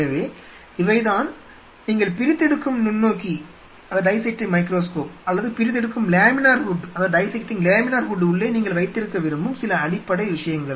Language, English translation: Tamil, So, these are some of the basic things, what you prefer to have inside the dissecting microscope or dissecting laminar hood